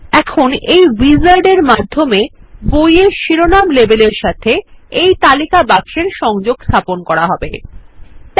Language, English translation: Bengali, Now, this wizard will help us connect the list box to the Book title label